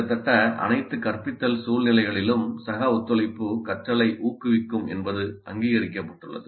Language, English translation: Tamil, This has been recognized in almost all the instructional situations that peer collaboration promotes learning